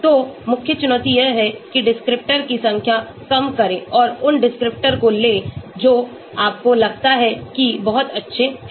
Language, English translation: Hindi, So the main challenge is to reduce the number of descriptors and take those descriptors, which you think are very good